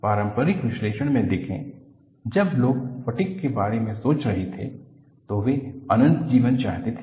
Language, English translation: Hindi, See, in conventional analysis, when people were thinking about fatigue, they wanted to have infinite life